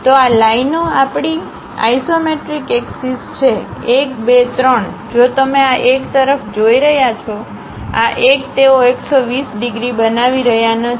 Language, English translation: Gujarati, So these lines are our isometric axis one, two, three; if you are looking this one, this one; they are not making 120 degrees